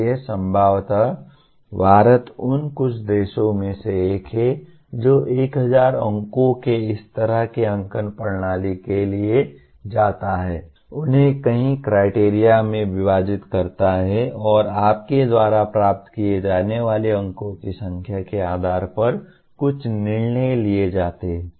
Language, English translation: Hindi, So possibly India is one of the few countries which goes for this kind of a marking system of having 1000 marks, dividing them into several criteria and based on the number of marks that you get there is some decisions get taken